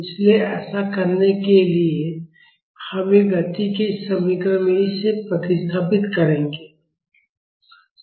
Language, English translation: Hindi, So, to do that, we will substitute this in this equation of motion